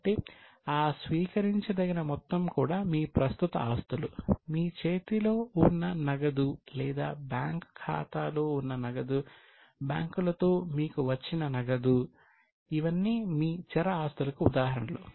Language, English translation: Telugu, So, those receivable balances are also your current assets, whatever cash you have in hand or whatever cash you have got with banks, in the bank account, all these are examples of your current assets